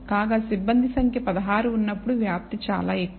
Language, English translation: Telugu, Whereas, when the number of crews is 16 the spread is very high